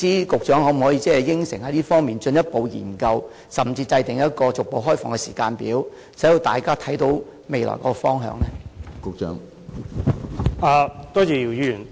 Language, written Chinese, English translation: Cantonese, 局長可否承諾就這方面作進一步研究，甚至制訂一個逐步開放的時間表，令大家可以看得到未來的方向呢？, Can the Secretary undertake to conduct further studies in this respect and even draw up a timetable for gradually opening up the area so that we can see the future direction?